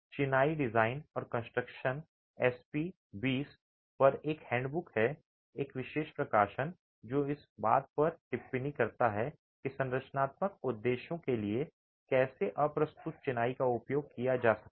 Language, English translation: Hindi, There is a handbook on masonry design and construction, SP20, it's a special publication, which gives a commentary on how unreinforced masonry can be used for structural purposes